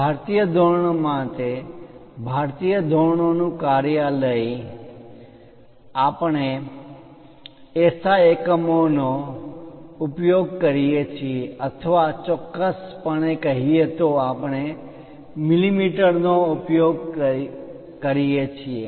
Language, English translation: Gujarati, For Indian standards, Bureau of Indian standards we use SI units or precisely speaking we use millimeters